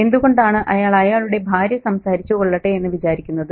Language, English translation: Malayalam, Why is he letting his wife do the talking